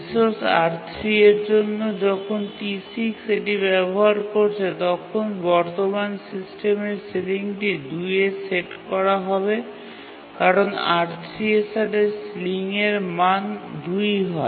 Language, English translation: Bengali, When T6 is using the resource R3, then the current system sealing will be set to 2 because the sealing value associated with R3 is 2